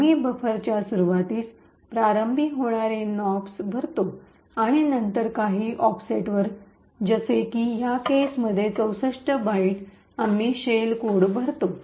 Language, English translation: Marathi, We fill in Nops starting at in the beginning of the buffer and then at some offset in this case 64 bytes we fill in the shell code